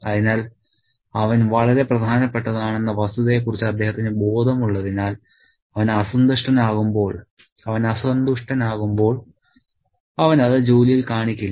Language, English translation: Malayalam, So, because he is conscious of the fact that he is very important, when he is displeased, displeased, he will not show up at work